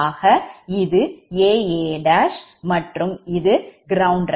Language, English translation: Tamil, so this is a and a dash and this is a ground as reference